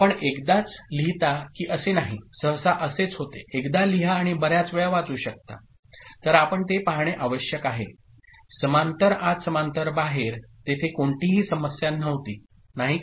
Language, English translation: Marathi, It is not the case that you write once, that usually is the case, write once and read many times; then you need to see that for parallel in parallel out there was no issue, isn’t it